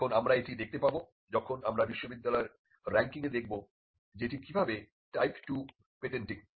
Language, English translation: Bengali, Now we will see this when we look at the ranking of universities how it is type 2 patenting